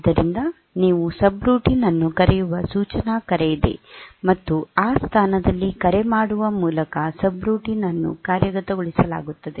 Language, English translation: Kannada, So, there is an instruction call by which you can call a subroutine, and that subroutine will be executed by calling it at that position